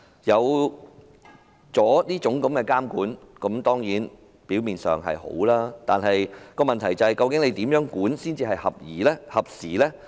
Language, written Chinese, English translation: Cantonese, 有了這種監管，表面上當然是好的，但問題是如何監管才算是合宜和合時呢？, Apparently it is certainly good to have such kind of regulation but the question is what kind of regulation is deemed appropriate and relevant to the prevailing circumstances